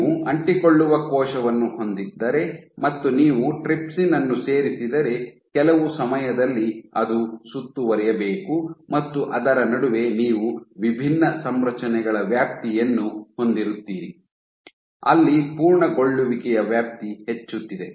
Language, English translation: Kannada, So, if you have a cell which is an adherent and you add trypsin give then at some point of time it should round up and in between you would have a range of different configurations where, the extent of rounding up is increasing